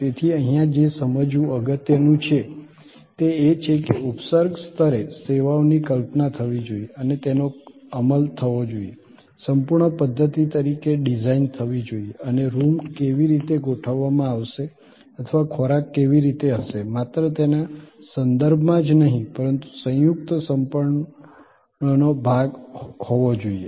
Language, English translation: Gujarati, So, in a way what is important to understand here is, at a macro level services must be conceived and must be executed, must be designed as a total system and not ever in terms of just how the rooms will be arranged or how food will be delivered, it has to be all together part of composite whole